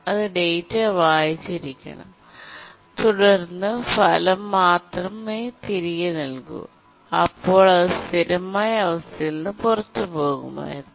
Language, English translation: Malayalam, It should have read the data and then written back the result, then it would have left it in a consistent state